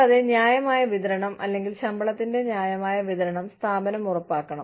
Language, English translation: Malayalam, And, the organization should ensure, a fair distribution, or fair disbursement of salaries